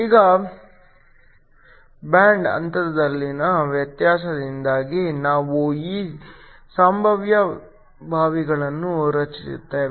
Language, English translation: Kannada, Now because of the difference in band gaps we create this potential wells